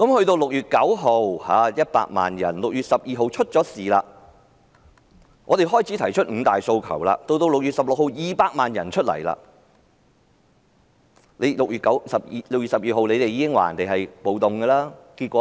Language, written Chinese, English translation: Cantonese, 在6月9日，有100萬人上街；而在6月12日的事件發生後，我們開始提出"五大訴求"；到6月16日，再有200萬人上街，但政府在6月12日已提出"暴動"的說法，但結果怎樣呢？, On 9 June a million people took to the streets; after the incident on 12 June we started to put forward the five demands; and on 16 June two million people took to the streets again but the Government had already made the description of riot on 12 June . And what was the result?